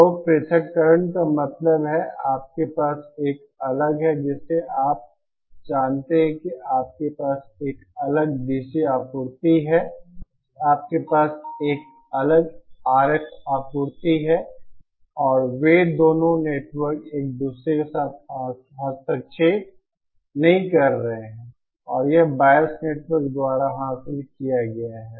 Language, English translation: Hindi, So separation means that you have a different you know you have a separate DC supply, you have a separate RF supply and they are the both the two networks are not interfering with each other and that is achieved by this bias network